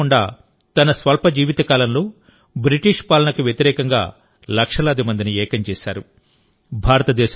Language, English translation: Telugu, Bahgwan BirsaMunda had united millions of people against the British rule in his short lifetime